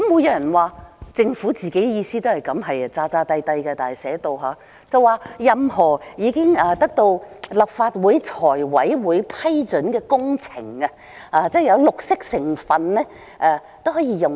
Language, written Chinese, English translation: Cantonese, 有人說政府的意思也是這樣，但寫出來卻是裝模作樣，說任何已經得到立法會財務委員會批准的工程，只要有綠色成分都可以使用。, Some people said that this is what the Government intends to do but the Government when putting it down in writing has made a pretence by stating that the funds can be used for any project approved by the Finance Committee of the Legislative Council so long as it features green elements